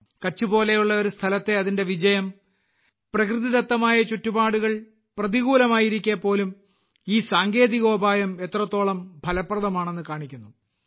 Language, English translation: Malayalam, Its success in a place like Kutch shows how effective this technology is, even in the toughest of natural environments